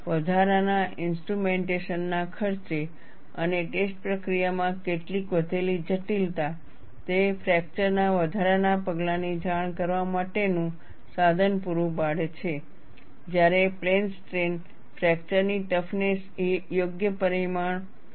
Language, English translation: Gujarati, And what it does is, at the expense of additional instrumentation and some increased complexity in the test procedure, it provides the means for reporting additional measures of fracture, when plane strain fracture toughness is not an appropriate parameter